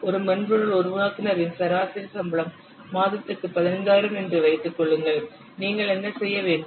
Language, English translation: Tamil, Assume that the average salary of a software developer is 15,000 per month